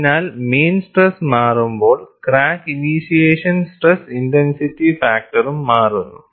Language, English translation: Malayalam, So, when the mean stress is changed, the crack initiation stress intensity factor also changes